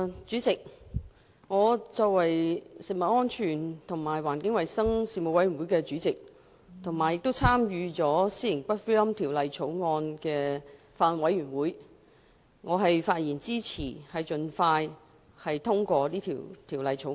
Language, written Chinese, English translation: Cantonese, 主席，我以食物安全及環境衞生事務委員會主席，以及《私營骨灰安置所條例草案》委員會委員的身份，發言支持盡快通過《私營骨灰安置所條例草案》。, President I speak in support of the expeditious passage of the Private Columbaria Bill the Bill in my capacity as the Chairman of the Panel on Food Safety and Environmental Hygiene the Panel and a member of the Bills Committee on Private Columbaria Bill